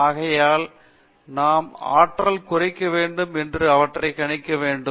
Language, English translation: Tamil, So, therefore, we have to minimize the energy and predict them